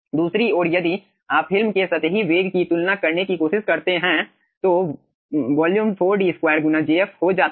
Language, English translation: Hindi, on the other hand, if you try to compare the superficial velocity of the film, the volume comes out to be pi by 4 d square into jf